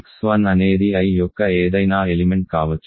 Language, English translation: Telugu, So, let x 1 be any element of I